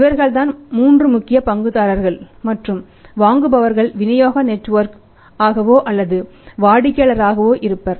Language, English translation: Tamil, These are the three important stakeholders and if say a buyers will be the distribution network or maybe the customer